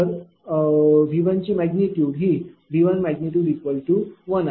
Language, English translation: Marathi, So, magnitude of V 3 will be 0